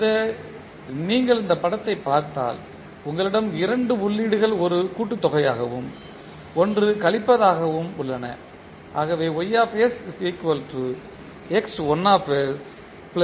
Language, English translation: Tamil, So, if you see this particular figure you have two inputs as a summation and one as subtraction